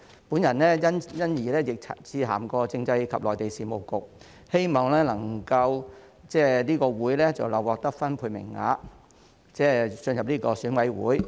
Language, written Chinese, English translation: Cantonese, 我亦曾因此致函政制及內地事務局，希望這個總會能夠獲分配名額進入選委會。, I have also written to the Constitutional and Mainland Affairs Bureau in the hope that this Federation would be assigned some seats in EC